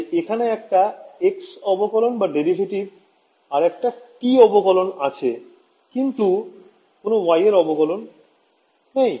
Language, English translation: Bengali, So, there is a x derivative, there is a t derivative, there is no y derivative correct